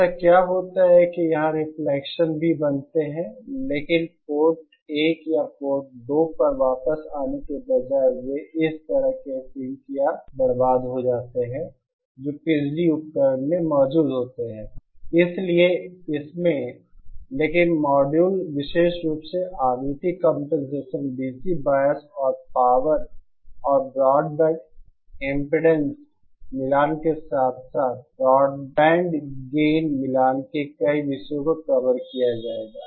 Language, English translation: Hindi, What happens is that here also reflections take place, but instead of coming back to the Port 1 or Port 2, they are kind of synced or wasted away in these in this resistant that is present in the power device, so in this but module will covered a number of topics especially on frequency compensation DC bias and also power and also broad band impedance matching as well as broadband gain matching